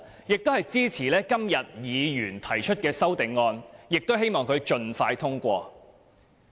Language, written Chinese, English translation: Cantonese, 我也支持議員今天提出的修正案，希望修正案獲得通過。, I also support the amendments proposed by Members today and hope that they can be passed